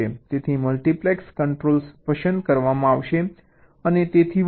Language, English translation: Gujarati, so the multiplexes, controls will be selected and so on